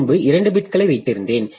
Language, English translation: Tamil, So, previously I just kept two bits